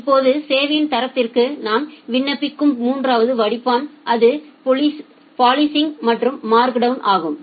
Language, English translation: Tamil, Now, the third filter which we apply for quality of service it is policing and markdown